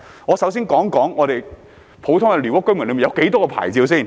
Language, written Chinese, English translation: Cantonese, 我首先談談普通寮屋居民有多少種牌照。, Let me start off by saying how many types of licences have been granted to ordinary squatter residents